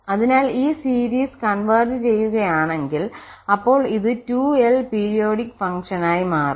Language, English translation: Malayalam, So, if this series converges then that function to whom this is converging that will be a 2l periodic function